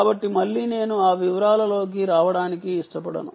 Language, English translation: Telugu, so again, i dont want to get into those details